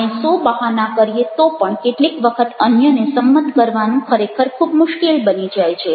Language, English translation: Gujarati, we might ah express hundred of excuses, but at times it becomes really very difficult ah to convince others